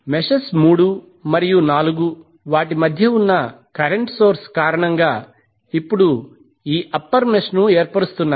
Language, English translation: Telugu, So meshes 3 and 4 will now form this upper mesh due to current source between them